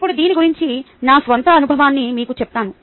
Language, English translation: Telugu, now let me tell you my own experience about this